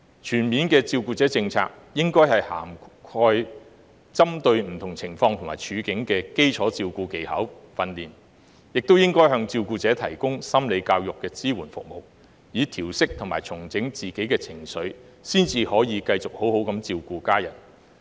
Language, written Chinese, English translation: Cantonese, 全面的照顧者政策，應該涵蓋針對不同情況和處境的基礎照顧技巧訓練，亦應該向照顧者提供心理教育的支援服務，以調適和重整自己的情緒，才能繼續好好地照顧家人。, A comprehensive carer policy should include basic caring skill training for coping with different scenarios and circumstances as well as psychoeducational support services for carers to adjust themselves and relieve their emotions so that they can take care of their families continuously